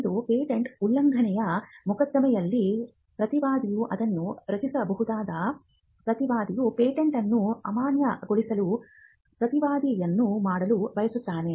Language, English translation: Kannada, One, it could be generated by a defendant in a patent infringement suit; where the defendant wants to raise a counterclaim to invalidate the patent